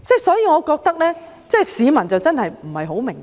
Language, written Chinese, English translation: Cantonese, 所以，我覺得市民真的不太明白。, Therefore I feel that the public do not quite get the point